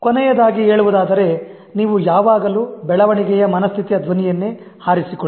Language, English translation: Kannada, And last but not the least, always choose the growth mindset voice